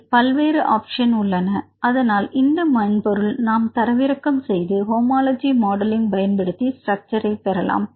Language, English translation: Tamil, So, you can download this software install this software and you can get the structure using homology modelling